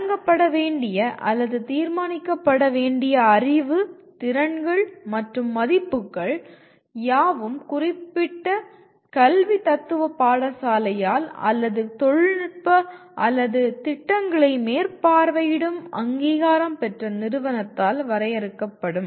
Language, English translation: Tamil, What knowledge, skills and values to be imparted or decided by or determined by the particular school of philosophy of education limited or by the accrediting agency which is overseeing the particular technical or the programs